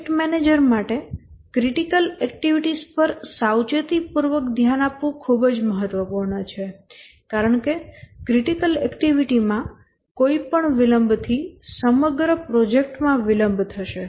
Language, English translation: Gujarati, It's very important for the project manager to pay careful attention to the critical activities because any delay on a critical activity will delay the whole project